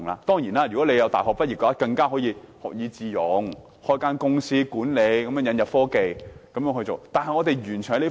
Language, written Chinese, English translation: Cantonese, 當然，如果他們是大學畢業生，大可學以致用，開設一間管理公司，引入科技來經營。, Certainly if they are university graduates they may capitalize on their knowledge learnt to run a management company and introduce new technology into their operation